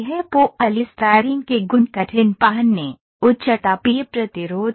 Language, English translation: Hindi, Polystyrene the properties were hard wearing, high thermal resistance